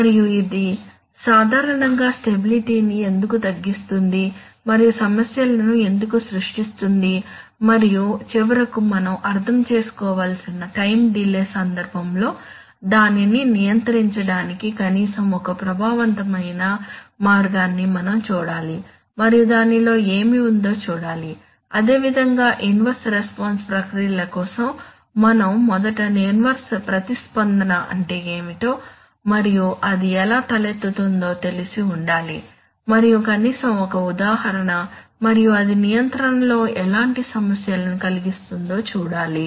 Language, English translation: Telugu, And why it generally degrade stability and creates problems and finally in the context of time delay we have to understand, we have to look at least one way of one effective way of controlling it and see what it involves, similarly for inverse response processes we have to first of all know what is inverse response and how it arises and at least an example and what kind of problems it causes in control and then see